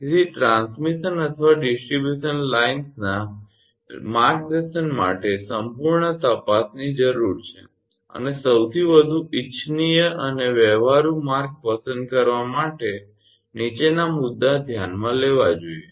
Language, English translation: Gujarati, So, the routing of a transmission or distribution lines requires thorough investigation and for selecting the most desirable and practical route following point should be considered